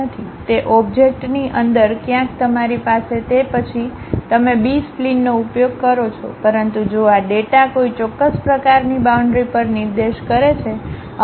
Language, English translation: Gujarati, Somewhere inside of that object you have it then you use B splines, but if these data points on one particular kind of boundary